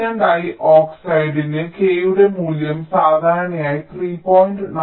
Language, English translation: Malayalam, and for silicon dioxide the value of k is typically three point nine